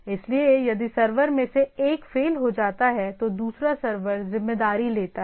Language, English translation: Hindi, So, if the one of the server fails the other server takes up the responsibility